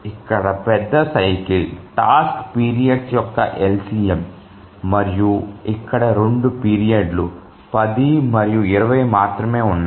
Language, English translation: Telugu, The major cycle is the LCM of the task periods and here there are only two periods, 10 and 20